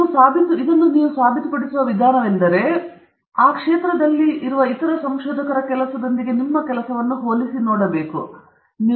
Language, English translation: Kannada, One way in which you prove that it is new work is you compare it with the work of other researchers in the same area